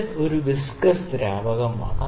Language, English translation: Malayalam, And in this we have a viscous fluid